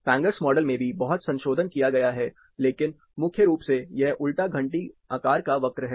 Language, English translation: Hindi, There has been lot of modification to Fangers model as well, but primarily, this is inverse bell shape curve